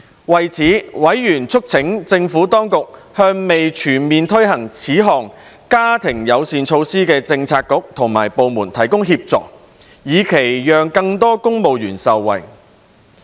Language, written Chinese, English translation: Cantonese, 為此，委員促請政府當局向未全面推行這項家庭友善措施的政策局及部門提供協助，以期讓更多公務員受惠。, In this connection Panel members called on the Administration to provide assistance to the Bureaux and departments which were yet to fully implement this family - friendly measure so as to benefit more civil servants